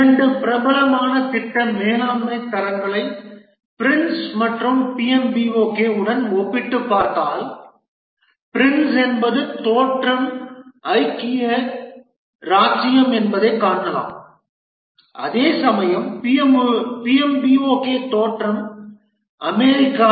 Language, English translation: Tamil, If we compare two popular project management standards, the Prince and the PMB, we can see that the Prince is the origin is United Kingdom whereas the PMBOK, the origin is United States